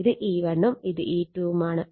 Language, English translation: Malayalam, So, this is E 1 E 2